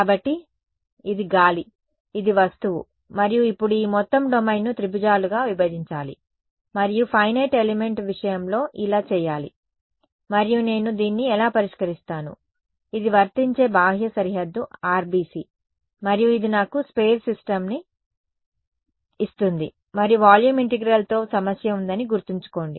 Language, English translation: Telugu, So, this is air, this is the object and now this whole domain has to be fractured into triangles and so on in the case of finite element, and this is how I solve it, this is the sort of a outermost boundary on which apply RBC and this gives me a sparse system and remember the problem with volume integral was